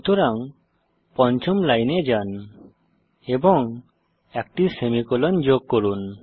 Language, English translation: Bengali, So go to the fifth line and add a semicolon